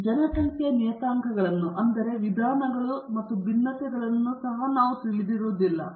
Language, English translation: Kannada, And we also do not know the population parameters namely the means and variances